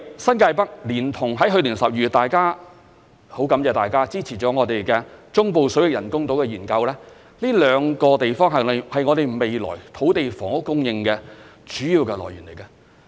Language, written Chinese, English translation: Cantonese, 新界北連同——去年12月很感謝大家支持了我們——中部水域人工島的研究，這兩個地方是我們未來土地房屋供應的主要來源。, New Territories North together with the study on the Artificial Islands in the Central Waters which I am grateful for Members support last December these two areas are our main source of land for future housing supply